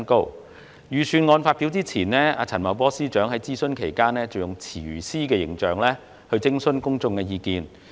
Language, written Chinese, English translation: Cantonese, 財政預算案發表前，陳茂波司長在諮詢期間以廚師形象徵詢公眾意見。, Before announcing the Budget Financial Secretary FS Paul CHAN dressed up as a chef to seek public views during the consultation period